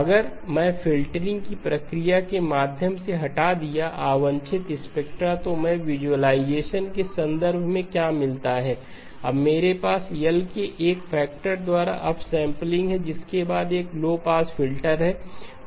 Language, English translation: Hindi, If I removed through the process of filtering, the unwanted spectra then what do I get in terms of the visualization, I now have upsampling by a factor of L followed by a low pass filter